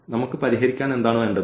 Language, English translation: Malayalam, So, what we need to solve